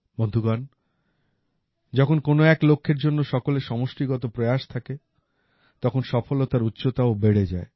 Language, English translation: Bengali, Friends, when there is a collective effort towards a goal, the level of success also rises higher